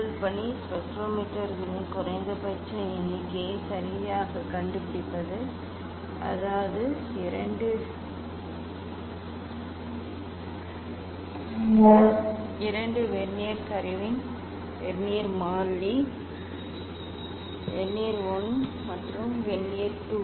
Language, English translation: Tamil, first task is to find out the least count of the spectrometers ok; that means, Vernier constant of the two Vernier s ok; Vernier 1 and Vernier 2